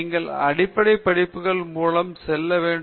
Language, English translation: Tamil, You have to go through the basic courses